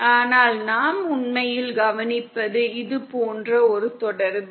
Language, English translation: Tamil, But what we are actually observing is a relationship like this